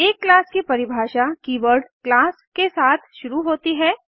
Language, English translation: Hindi, A class definition begins with the keyword class